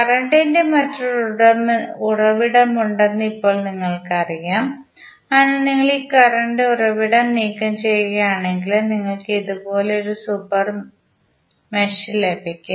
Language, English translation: Malayalam, Now, we know that there is another current source, so if you remove this current source you will get one super mesh as this one, right